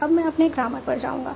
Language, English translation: Hindi, Now I will go to my grammar